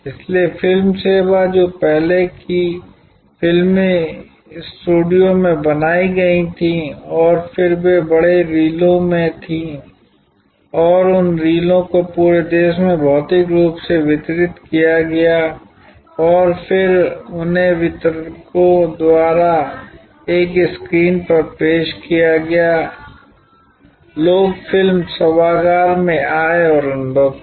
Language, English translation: Hindi, So, the movie service which earlier movies were created in studios and then they were in big reels and those reels got distributed all over the country physically and then they were used by the distributors, projected on a screen, people came to the movie auditorium and experienced